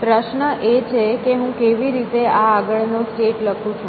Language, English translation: Gujarati, The question is how do I write this successes state